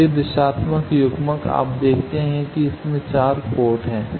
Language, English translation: Hindi, So, this directional coupler you see it has 4 ports